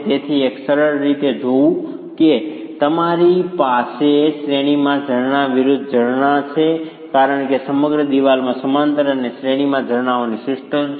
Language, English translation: Gujarati, So, in a simplistic manner looking at if you have springs in parallel versus springs in series, because in the whole wall it is a system of springs in parallel and series